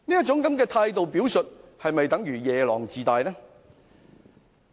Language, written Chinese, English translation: Cantonese, 這種態度的表述是否夜郎自大呢？, Is that not an evident mark of self - conceit?